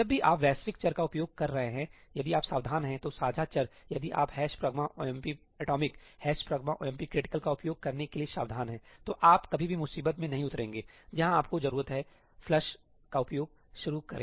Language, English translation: Hindi, Whenever you are accessing global variables, if you are careful, shared variables, if you are careful to use ëhash pragma omp atomicí, ëhash pragma omp criticalí, then you will never land into the trouble where you need to start using ëflushí